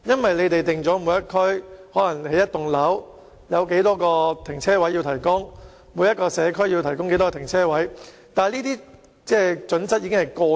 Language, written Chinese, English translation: Cantonese, 政府規定，每個地區、每棟大廈和每個社區均須提供某個數量的停車位，但這些準則已經過時。, While the Government has to follow the standards and provide a certain number of parking spaces in each area or each building and community the standards are outdated actually